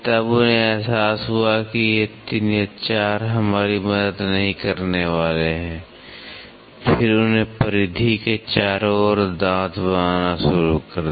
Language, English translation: Hindi, Then they realise these 3 4 is not going to help us, then they started making all around the periphery teeth